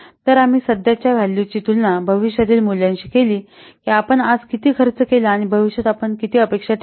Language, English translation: Marathi, So, we compare the present values to the future values, how much we have spent today and how much we are expecting in future